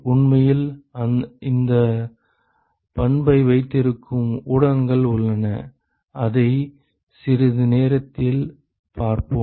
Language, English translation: Tamil, And there are media which actually has this property and we will see that in a short while